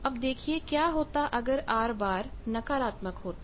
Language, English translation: Hindi, And you see that what happens if R is negative